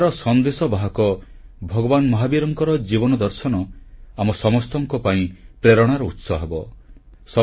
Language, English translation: Odia, The life and philosophy of Lord Mahavirji, the apostle of nonviolence will inspire us all